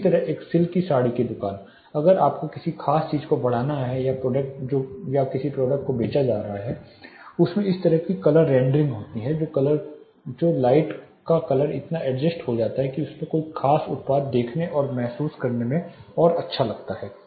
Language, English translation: Hindi, Similarly to a skill saree shop if you have to really enhance the particular project you know product which is being sold they will have a kind of color rendering which we call color rendering the color of the light is so adjusted that a particular product is more enhance in its look and feel